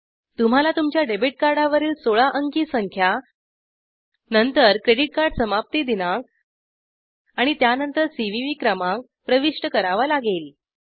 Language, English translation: Marathi, You have to Enter the 16 digit number that comes on your debit card and then credit card expiry date and then CVV number